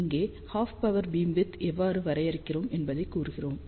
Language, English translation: Tamil, So, these are the expressions for half power beamwidth